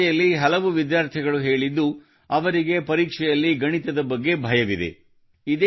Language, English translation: Kannada, During this discussion some students said that they are afraid of maths in the exam